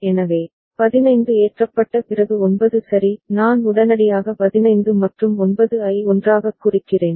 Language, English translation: Tamil, So, after 15 loaded is 9 ok; I mean immediately within, the 15 and 9 together